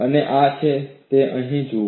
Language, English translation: Gujarati, That is what you see here